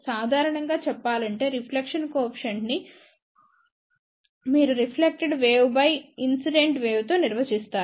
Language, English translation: Telugu, Generally, speaking reflection coefficient is defined by you can say reflected wave divided by incident wave